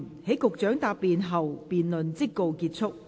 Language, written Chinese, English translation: Cantonese, 在局長答辯後，辯論即告結束。, The debate will come to a close after the Secretary has replied